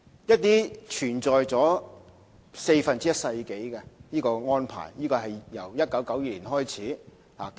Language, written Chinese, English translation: Cantonese, 有關安排存在了四分之一個世紀，是由1992年開始。, The arrangement concerned has existed for a quarter of a century since 1992